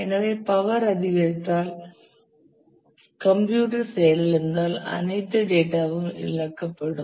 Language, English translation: Tamil, So, if the power goes up the system crashes all the data is lost